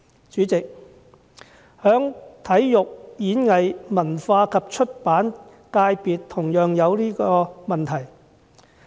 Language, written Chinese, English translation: Cantonese, 主席，體育、演藝、文化及出版界別同樣有這問題。, President the same problem also arises with the Sports Performing Arts Culture and Publication FC